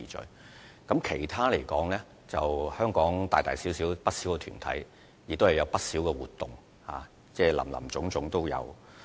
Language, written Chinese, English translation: Cantonese, 至於其他方面，香港大大小小的團體均會舉辦不少活動，林林總總。, As for other sectors many activities are held by organizations of different sizes in Hong Kong covering a large variety